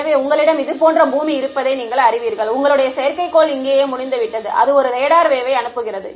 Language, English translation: Tamil, So, there you know you have the earth like this and you have one turn one your satellite is over here right, its sending a radar wave